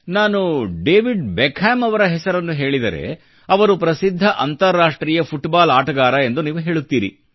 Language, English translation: Kannada, If I now take the name of David Beckham, you will think whether I'm referring to the legendary International Footballer